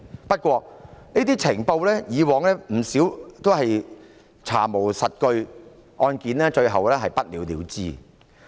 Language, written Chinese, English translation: Cantonese, 不過，以往不少這些情報均是查無實據，案件最後不了了之。, However in the past a lot of such intelligence was not substantiated after investigation and the cases fizzled out in the end